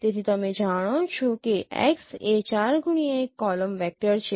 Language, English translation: Gujarati, So you know that x is a 4 cross 1 column vector